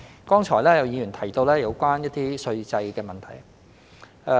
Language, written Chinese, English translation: Cantonese, 剛才有議員提到有關稅制的問題。, Some Members have mentioned just now the tax regime